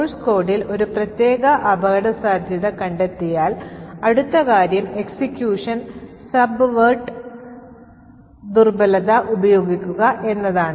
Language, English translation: Malayalam, So, once he has found a particular vulnerability in the source code, the next thing is to use this vulnerability to subvert the execution